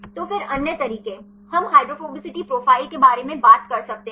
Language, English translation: Hindi, So, then the other methods, we can talk about hydrophobicity profiles